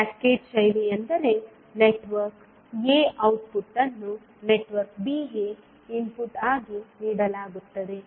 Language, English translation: Kannada, Cascaded fashion means the network a output is given as an input to network b